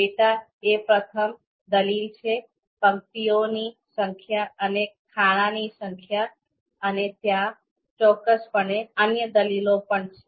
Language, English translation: Gujarati, So you can see data is the first argument, then number of rows and number of columns, and there are certain other arguments also there